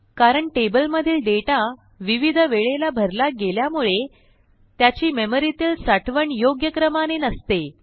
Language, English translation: Marathi, Because, we add data to the tables at different times, their actual storage is not in a particular order